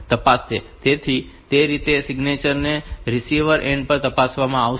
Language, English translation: Gujarati, So, that way and this signature will be checked at the receiving end